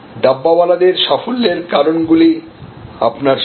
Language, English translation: Bengali, So, the Dabbawala success factors are in front of you